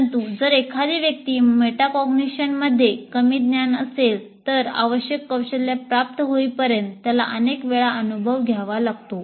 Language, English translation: Marathi, But if somebody is poor in metacognition, he needs to undergo this experience several times until he picks up the required skill